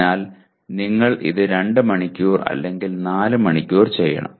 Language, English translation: Malayalam, So you have to do it for 2 hours or 4 hours